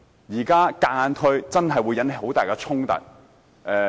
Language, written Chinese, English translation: Cantonese, 現在強行推行，真的會引起很大的衝突。, Compulsory implementation now will really arouse great conflicts